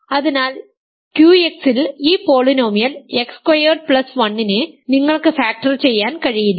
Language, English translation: Malayalam, So, you cannot factor this polynomial X squared plus 1 in Q X